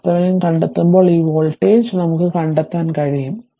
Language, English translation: Malayalam, When you find the R Thevenin, this voltage source is sorted, we have seen this right